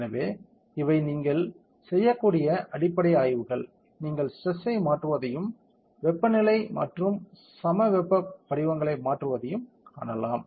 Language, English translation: Tamil, So, these are the basic studies at you can perform you can see the stress changing, temperature changing isothermal contours changing and all